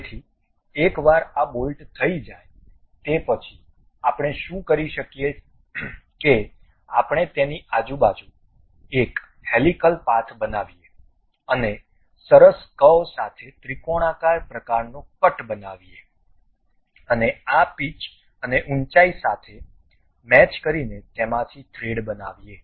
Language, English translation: Gujarati, So, once this bolt is done what we can do is we make a helical path around this and a triangular kind of cut with a nice curvature and pass with match with this pitch and height thing and make a thread out of it